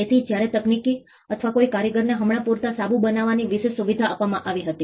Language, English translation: Gujarati, So, when a technician or a craftsman was given an exclusive privilege to manufacture soaps for instance